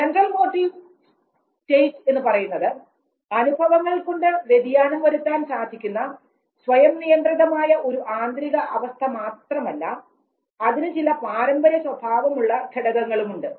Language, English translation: Malayalam, Therefore the Central Motive State actually is not an autonomous state of external condition and can be altered by experiences, but also has certain inherited components